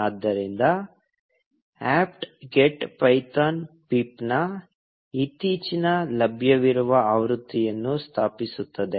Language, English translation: Kannada, So, apt get will install the latest available version of python pip